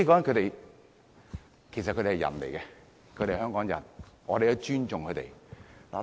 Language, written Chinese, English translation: Cantonese, 同性戀者都是人，是香港人，我們尊重他們。, Homosexuals are humans as well as Hong Kong people . We respect them